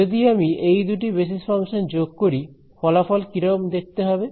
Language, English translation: Bengali, Supposing I add these two basis functions what will the result look like